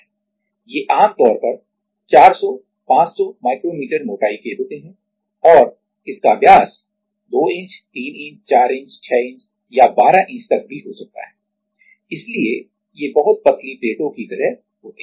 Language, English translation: Hindi, These are usually like 400 500 micro meter of thickness and it can be its diameter can be 2 inch, 3 inch, 4 inch, 6 inch or even 12 inch diameter, so these are like thin very thin plates